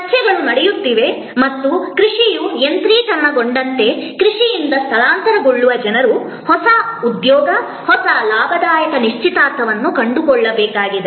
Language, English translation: Kannada, There are debates and saying that the as agriculture mechanizes, the people who will get displaced from agriculture to find new employment, new gainful engagement